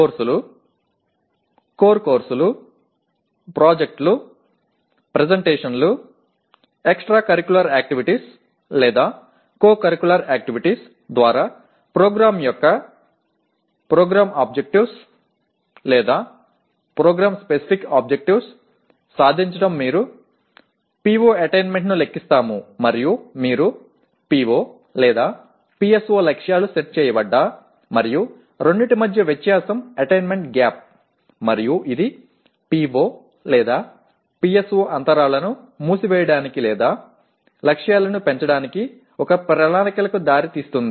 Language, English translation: Telugu, The PO/PSO attainment of the program through courses, core courses, projects, presentations, extra curricular activities, or co curricular activities they you compute the PO attainment and then you also set PO/PSO targets if you look at the PO/PSO targets are set and the difference between the two is the attainment gap and that should lead to a plan for closing the PO/PSO gaps or enhancement of the targets